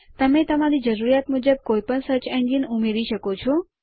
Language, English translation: Gujarati, You can add any of the search engines according to your requirement